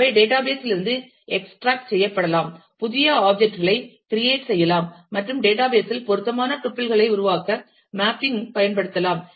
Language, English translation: Tamil, They can be extracted from the database; new objects can be created and mapping use to create a appropriate tuples in the database